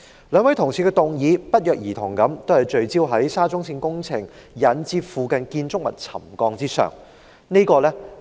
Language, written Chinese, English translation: Cantonese, 兩位同事的議案不約而同聚焦在沙中線工程引致附近建築物沉降的事宜。, The motions of the two Honourable colleagues both focus on the settlement of nearby buildings caused by SCL works